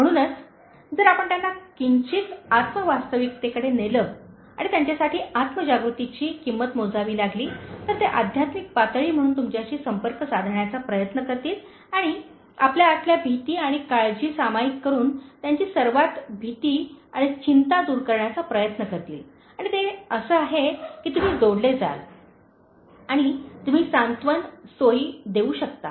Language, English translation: Marathi, So, if you slightly lead them to self actualization and cost them self awareness, they will try to connect to you as a spiritual level and try to address their innermost fears and worries by sharing your innermost fears and worries and that is how you will connect and you can offer solace, comfort